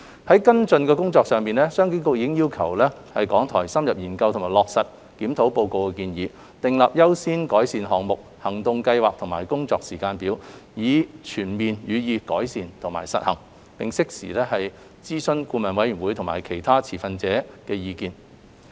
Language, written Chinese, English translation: Cantonese, 在跟進的工作上，商經局已經要求港台深入研究及落實《檢討報告》的建議，訂立優先改善項目、行動計劃和工作時間表，以全面予以改善及實行，並適時諮詢顧委會及其他持份者的意見。, As regards the follow - up work CEDB has requested RTHK to study in detail and implement the recommendations of the Review Report by drawing up priority improvement measures an action plan and a timetable so as to fully implement the recommendations and to seek advice from BoA and other stakeholders in a timely manner